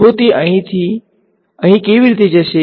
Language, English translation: Gujarati, So how will it go from here to here